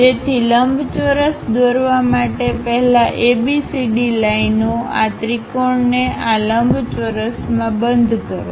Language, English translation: Gujarati, So, first for the rectangle draw ABCD lines enclose this triangle in this rectangle